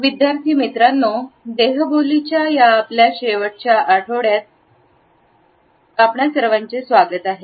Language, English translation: Marathi, Dear participants welcome to the last week of our discussions on Body Language